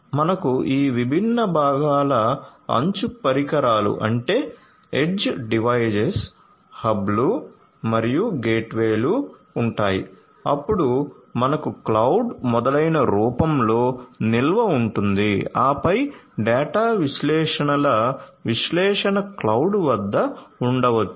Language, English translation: Telugu, So, we will have all these different components you know age devices, you know then hubs and gateways, then we have storage maybe in the form of cloud etcetera, then analysis of the data analytics maybe at the cloud